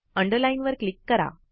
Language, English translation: Marathi, Click on Underline